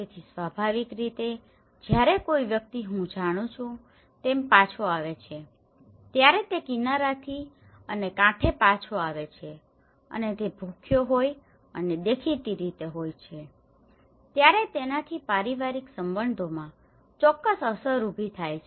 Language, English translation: Gujarati, So obviously, when a person returns as I you know, comes back from the shore and to the shore and he is hungry and obviously, it has created certain impacts in the family relationships